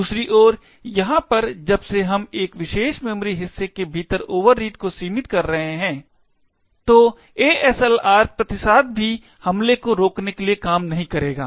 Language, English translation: Hindi, Over here on the other hand since we are restricting the overreads to within a particular memory segment, therefore the ASLR countermeasure will also not work to prevent the attack